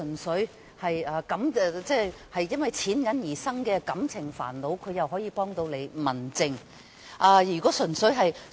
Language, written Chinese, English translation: Cantonese, 市民如果因為金錢而引發感情煩惱，這應由民政方面處理。, If the public are troubled by emotions as a result of financial problems it should be handled by the home affairs authorities